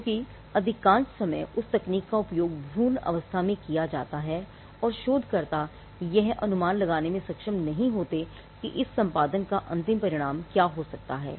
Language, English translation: Hindi, Because, most of the time that technique is used at the embryonic stage and researchers are not able to predict what could be the ultimate consequence of these editing